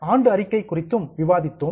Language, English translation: Tamil, We also discussed about annual report